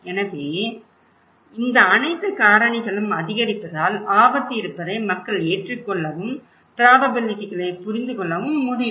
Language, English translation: Tamil, So, these all factors also increases can make it people acceptable to the existence of the risk and understanding the probabilities